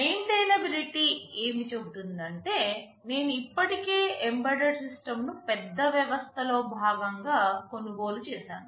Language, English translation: Telugu, Maintainability says that I have already purchased an embedded system as part of a larger system